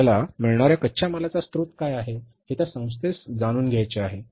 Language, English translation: Marathi, That institution would like to know that how much, what is the source of the raw material you are getting